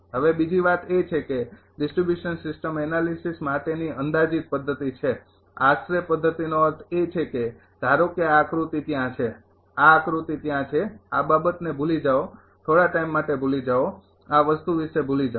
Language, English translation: Gujarati, Now, another thing is that approximate method for distribution system analysis approximate method means suppose ah this diagram is there this diagram is there r this is forget about this thing you forget time being you forget about this thing